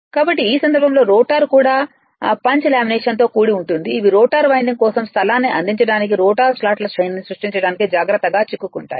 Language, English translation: Telugu, So, in this case, the rotor is also composed of punched lamination these are carefully you are stuck to create a series of rotor slots to provide space for the rotor winding